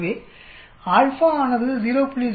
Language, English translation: Tamil, So we give the 0